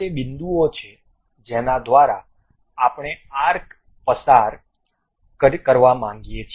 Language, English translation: Gujarati, These are the points through which we would like to pass an arc